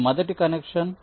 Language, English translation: Telugu, this is the first connection